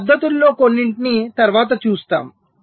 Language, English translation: Telugu, so we shall see some of these techniques later